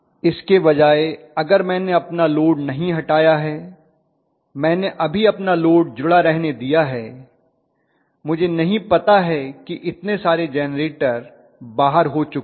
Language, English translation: Hindi, Rather than that I have not removed my load, I have just left my load I have not realize that so many generators have comed out right